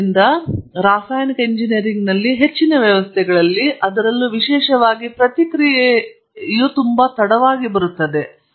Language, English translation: Kannada, But in most systems in chemical engineering, particularly the feedback comes too late